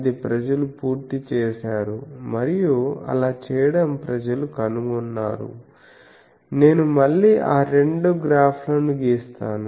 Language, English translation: Telugu, So, that is people done and by doing that people have found that I will again draw those two graphs